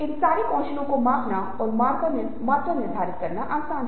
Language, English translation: Hindi, now, these are skills which are easy to measure and quantify